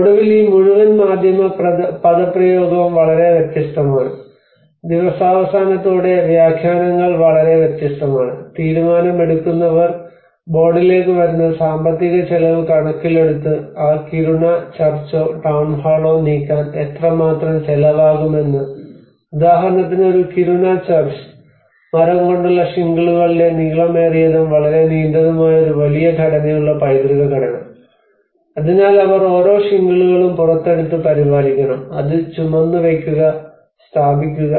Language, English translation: Malayalam, And then finally this whole media jargon is very different and interpretations are very different at the end of the day the decision makers come onto the board looking at the financial cost how much it is going to cost to move that Kiruna Church or the Town Hall, a Kiruna Church, for example, the heritage structure which has a huge long almost very long span structures of the wooden shingles